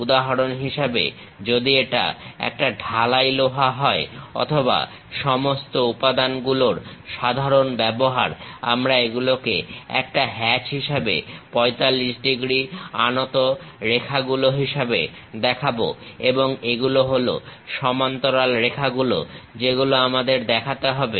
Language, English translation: Bengali, For example, if it is a cast iron or general use of all materials we show it by incline 45 degrees lines as a hatch and these are the parallel lines we have to really represent